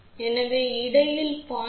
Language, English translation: Tamil, So, anything between 0